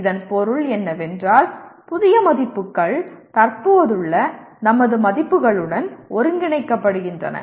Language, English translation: Tamil, What it means is now the new values are getting integrated with our existing values